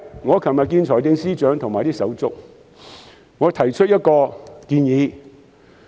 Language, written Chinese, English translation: Cantonese, 我昨天與財政司司長和他的同事會面，我提出了一項建議。, During a meeting with the Financial Secretary and his colleagues yesterday I made a suggestion